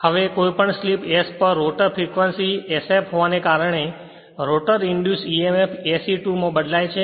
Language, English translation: Gujarati, Now at any slip s the rotor frequency being sf right any therefore, the rotor induced emf changes to se 2